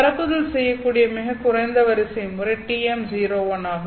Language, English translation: Tamil, 01, the lowest order mode that can propagate is TM 01